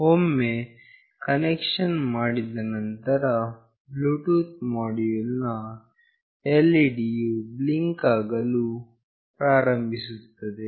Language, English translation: Kannada, Once the connection is made, the LED of the Bluetooth module will start blinking